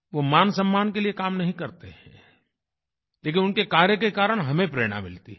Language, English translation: Hindi, They do not labour for any honor, but their work inspires us